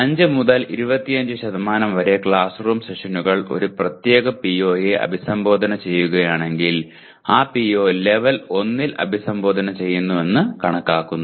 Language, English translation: Malayalam, Then 5 to 25% of classroom sessions are address a particular PO then we consider that PO is addressed at level 1